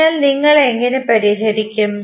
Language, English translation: Malayalam, So, how you will solve